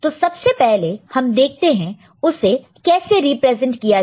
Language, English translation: Hindi, So, first we see that how it is represented; so this is the way it is represented